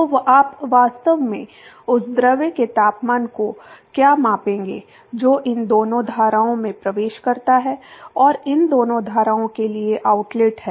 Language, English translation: Hindi, So, what you would actually measure the temperature of the fluid that is inlet to both these streams and outlet to both these streams